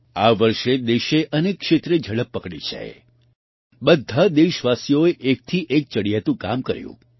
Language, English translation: Gujarati, This year the country gained a new momentum, all the countrymen performed one better than the other